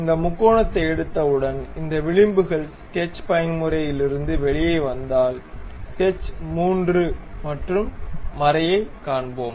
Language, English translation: Tamil, Once we have that triangle pick this edges come out of the sketch mode, then we will see sketch 3 and also helix